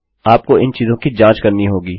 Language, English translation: Hindi, Thats why you should check these things